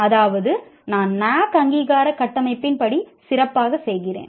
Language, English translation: Tamil, That means I am doing better in the, as per the NAC accreditation framework